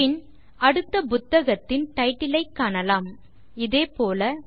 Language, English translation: Tamil, Then we will see the next book title, and so on